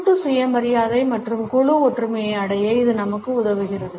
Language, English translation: Tamil, It also helps us to achieve collective self esteem and group solidarity